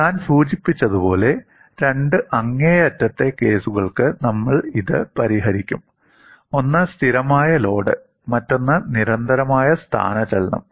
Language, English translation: Malayalam, As I mentioned, we would solve this for two extreme cases: one is a constant load; another is a constant displacement